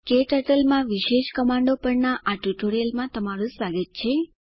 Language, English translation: Gujarati, Welcome to this tutorial on Special Commands in KTurtle